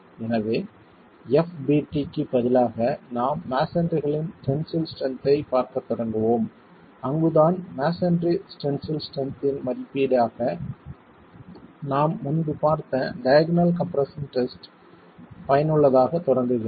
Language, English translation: Tamil, So, instead of FDT, we will start looking at the tensile strength of masonry and that is where the diagonal tension, diagonal compression test that we looked at earlier as an estimate of the tensile strength of masonry starts becoming useful